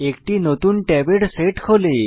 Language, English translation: Bengali, A new set of tabs open below